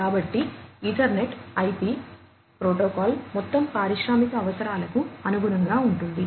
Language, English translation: Telugu, So, Ethernet IP protocol is overall catering to the different industrial requirements